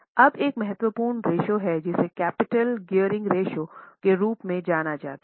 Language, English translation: Hindi, Now, there is one important ratio known as capital gearing ratio